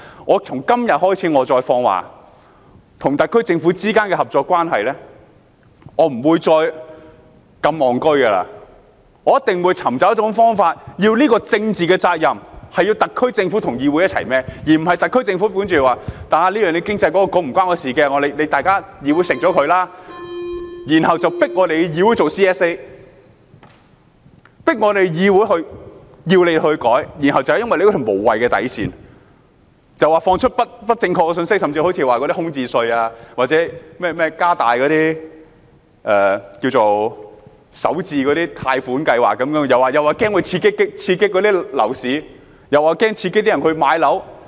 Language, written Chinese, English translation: Cantonese, 我從今天開始再放話，就與特區政府之間的合作關係，我不會再如此"戇居"，我一定會尋找一種方法，要特區政府與議會一同承擔政治責任，而不是讓特區政府推說與負責經濟的政策局無關，要由議會一力承擔，然後迫使議會提出全體委員會審議階段修正案，要求政府改動，然後就因為無謂的底線，政府發放不正確的信息，甚至好像"空置稅"或加大首次置業的貸款計劃般，說擔心刺激樓市，又說會刺激市民買樓。, I would like to begin spreading the message today that I will not be so stupid any more in cooperating with the SAR Government . I will definitely find a way to make the SAR Government shoulder political responsibility together with the Council rather than let it ask the Council to single - handedly shoulder the responsibility on the pretext that there is nothing to do with the Policy Bureau responsible for economic affairs and then force the Council to put forward a Committee stage amendment seeking modification from the Government and then release misinformation on the grounds of a meaningless bottom line and even say it is worried about stimulating the property market and home purchases as in the case of vacancy tax or expansion of loan schemes for home starters